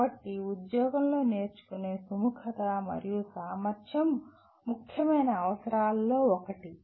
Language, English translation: Telugu, So willingness and ability to learn on the job is one of the important requirements